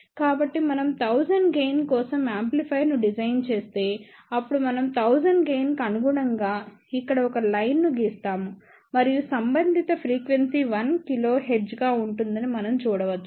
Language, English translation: Telugu, So, if we design an amplifier for a gain of 1000, then the withdrawal line here corresponding to gain of 1000 and we can see that the corresponding frequency will be 1 kilohertz